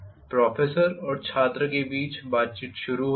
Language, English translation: Hindi, Conversation between professor and student starts